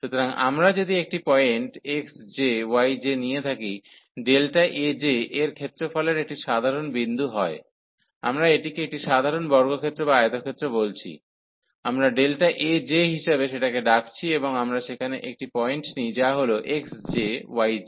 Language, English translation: Bengali, So, if we take a point x j, y j are some point in the area delta A j a general point, we are calling this a general square or the rectangle, we are calling as delta A j and we take a point there at which is denoted by this x j, y j